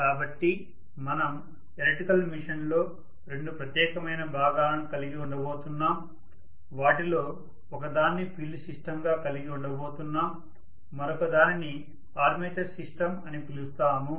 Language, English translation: Telugu, So specifically we are going to have two portions in the electrical machine, we are going to have one of them as field system the other one we call that as armature system